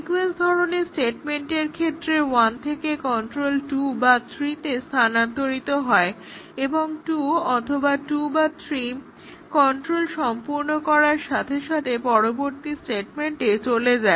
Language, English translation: Bengali, So, sequence type of statement is also very intuitive from 1 the control transfers to either 2 or to 3 and as soon as either 2 or 2 or 3 completes control goes to the next statement